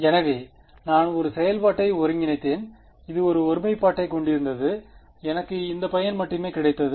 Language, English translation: Tamil, So, I integrated a function which had a singularity and what did I get I got only this guy